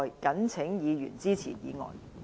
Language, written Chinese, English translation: Cantonese, 謹請議員支持議案。, I urge Members to support the motion